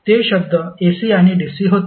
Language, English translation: Marathi, Those words were AC and DC